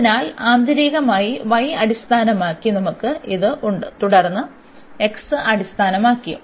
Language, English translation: Malayalam, So, we have this for the inner one with respect to y and then we have also for with respect to x